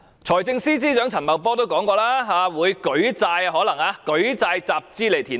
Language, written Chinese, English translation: Cantonese, 財政司司長陳茂波說過，可能會舉債集資填海。, Financial Secretary Paul CHAN once said that debts might be raised for funding the reclamation